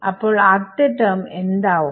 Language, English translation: Malayalam, So, what will the first term be